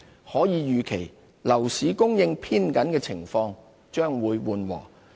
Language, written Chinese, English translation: Cantonese, 可以預期，樓市供應偏緊的情況將會緩和。, We anticipate that the tight supply situation in the property market will ease